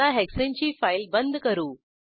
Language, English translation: Marathi, Lets close the hexane file